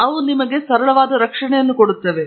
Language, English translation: Kannada, So, that provides you some protection